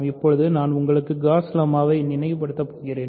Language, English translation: Tamil, Now, I am going to recall for you the Gauss lemma